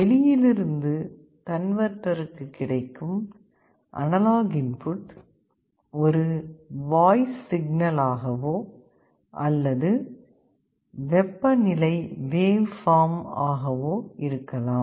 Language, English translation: Tamil, There is some analog signal which is coming from outside, this can be a voice, this can be a temperature waveform